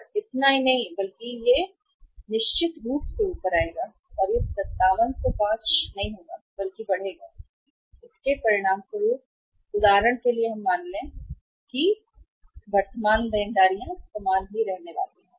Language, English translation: Hindi, This will not be this much but this will certainly go up and this will not be 5705 but will increase and as a result of that we will have if we for example assume that this current liabilities are going to remain the same